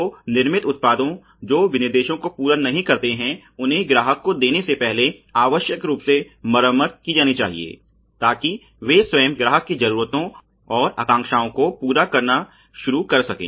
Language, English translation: Hindi, So, the manufactured products which do not meet the specifications have to be necessarily repaired before giving to the customer, so that they can start meeting the needs and aspirations of the customer itself